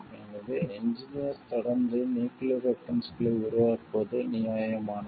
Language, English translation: Tamil, So, it is justified for engineers, to continue developing nuclear weapons